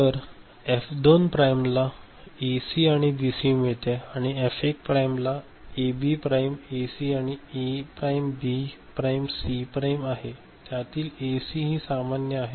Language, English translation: Marathi, So, F2 prime has got AC and BC and F1 has got AB prime AC and A prime B prime C prime and this AC is common